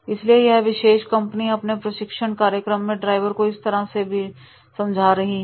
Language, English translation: Hindi, So therefore this particular company in the training program of their drivers they are making the use of the videos